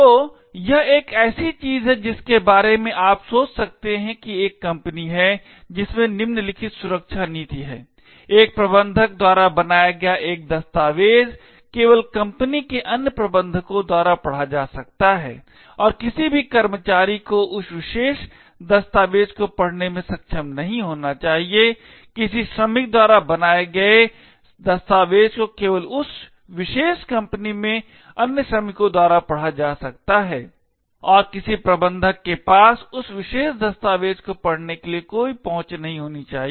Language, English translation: Hindi, So this is something you can think about is assume that there is a company which has the following security policy, a document made by a manager can be only read by other managers in the company and no worker should be able to read that particular document, document made by a worker can be only read by other workers in that particular company and no manager should have any access to read that particular document